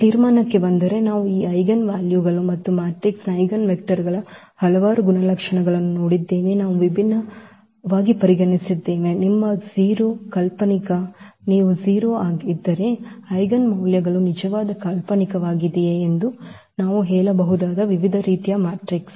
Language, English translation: Kannada, Getting to the conclusion, so we have seen several properties of this eigenvalues and eigenvectors of a matrix, we have considered different; different types of matrices where we can tell about whether the eigenvalues will be real imaginary if your imaginary you are 0